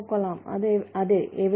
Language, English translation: Malayalam, great, yeah, where